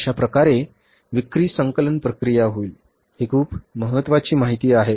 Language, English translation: Marathi, So this way the sales collection process will take place